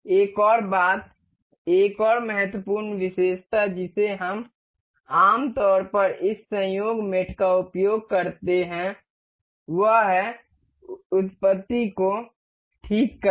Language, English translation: Hindi, Another thing, another important feature that we generally use this coincidental mate is to fix the origins